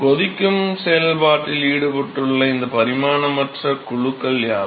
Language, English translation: Tamil, So, what are all these dimensionless groups dimension less groups involved in boiling process